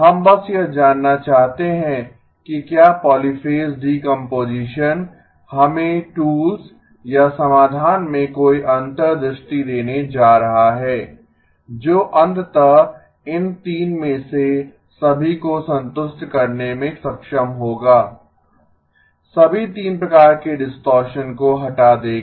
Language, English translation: Hindi, We just want to know whether polyphase decomposition is going to give us any insights into the tools or the solution that would eventually be able to satisfy all of these 3, removal of all 3 types of distortion